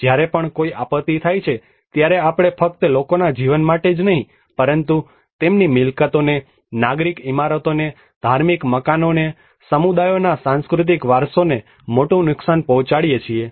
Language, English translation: Gujarati, Whenever a disaster happens, we encounter a huge loss not only to the lives of people but to their properties, to the civic buildings, to the religious buildings, to the cultural heritage of the communities